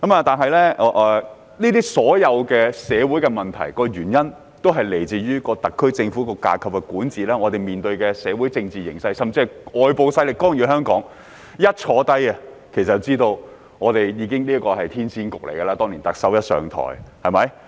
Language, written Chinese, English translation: Cantonese, 不過，所有社會問題均源於特區政府的管治架構、我們面對的社會政治形勢甚至外部勢力的干預，其實特首當年甫上台，便已知道這是個騙局。, However no matter how wide the scope is all social problems stem from the governance structure of the SAR Government the social and political situation we face and even interference of external forces . In fact the Chief Executive knew very well once she took office back then that the whole thing was actually a scam